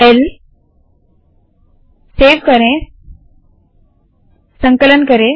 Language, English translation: Hindi, L, Save, Compile